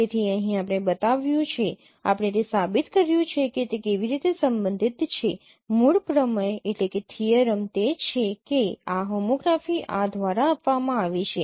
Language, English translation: Gujarati, So here we shown, we have shown a proof that how it is related the the basic theorem is that this homography is given by this